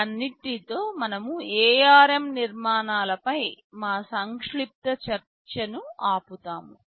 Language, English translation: Telugu, With all this, we stop our brief discussion on the ARM architectures